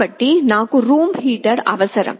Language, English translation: Telugu, So, I need a room heater